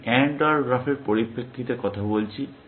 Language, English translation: Bengali, I am talking in the perspective of AND OR graph